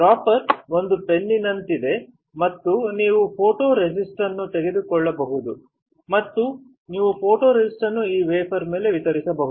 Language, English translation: Kannada, Dropper is like a fennel and you can take the photoresist and you can dispense the photoresist onto this wafer